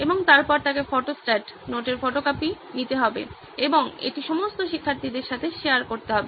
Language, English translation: Bengali, And then he would have to take Photostat, photocopy of the notes and share it with all the students